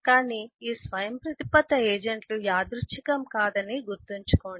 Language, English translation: Telugu, But keep this in mind: that this: autonomous agents are not arbitrary